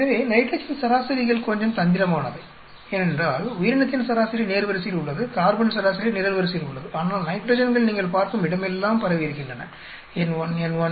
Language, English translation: Tamil, So, nitrogen averages are little bit tricky because the organism average is along the row, carbon average is along the column, but nitrogens are spread all over the place you see N1, N1,N1, N1, N1, N1, N1